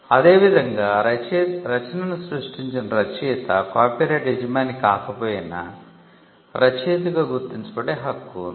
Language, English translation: Telugu, Similarly, and author who creates the work has a right to be recognised as the author even if he is not the copyright owner